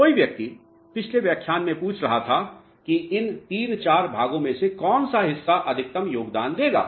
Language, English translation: Hindi, Somebody was asking in the previous lecture that which out of these three four parts is going to be contributing maximum